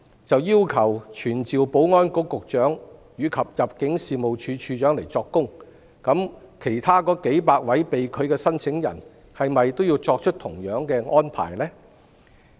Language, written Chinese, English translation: Cantonese, 如要求傳召保安局局長及入境處處長作供，對其他數百位被拒的申請人，是否都要作出同樣的安排？, If this Council summons the Secretary for Security and the Director of Immigration to testify should the same arrangement be made in respect of the other hundreds of rejected applicants?